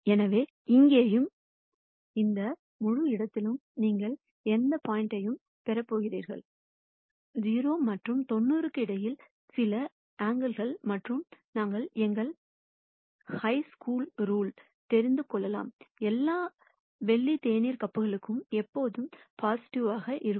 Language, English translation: Tamil, So, for any point between here and here in this whole space you are going to get a b, some angle between 0 and 90, and we know from our high school rule, all silver teacups cos theta will always be positive